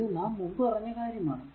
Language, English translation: Malayalam, That we have discussed before, right